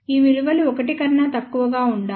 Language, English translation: Telugu, These values must be less than 1